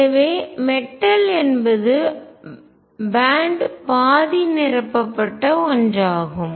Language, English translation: Tamil, So, metal is one where band is half filled